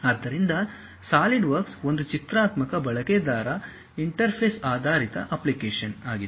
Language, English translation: Kannada, So, Solidworks is a graphical user interface based application